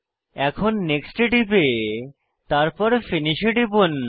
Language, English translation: Bengali, Now, Click on Next and then click on Finish